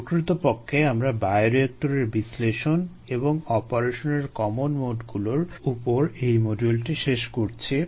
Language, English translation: Bengali, in fact we have completed this module on bioreactor analysis, the common modes of operation, the analysis of that